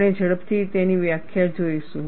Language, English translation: Gujarati, We will quickly see it is definition